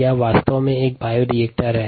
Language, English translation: Hindi, that's exactly what a bioreactor is